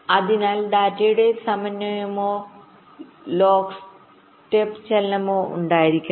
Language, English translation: Malayalam, so there should be a synchronization or a lock step movement of the data